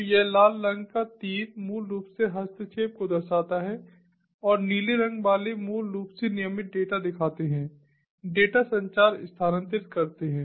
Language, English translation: Hindi, so this red colored arrows basically shows the interference and the blue colored ones basically shows the regular data transfer, data communication